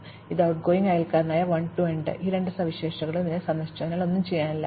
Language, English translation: Malayalam, Again, it has outgoing neighbors 1 and 2, both of which are already visited, so there is nothing to be done